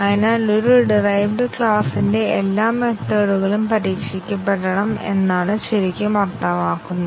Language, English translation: Malayalam, So, what really it means that all the methods of a derived class have to be tested